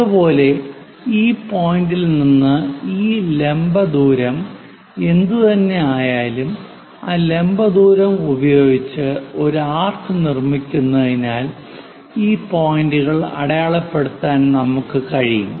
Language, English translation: Malayalam, Similarly, from this point, what is this vertical distance, use that vertical distance make an arc so that we will be in a position to mark these points